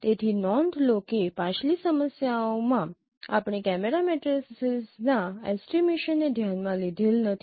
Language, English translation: Gujarati, So note that in our previous problems we have not considered estimation of camera matrices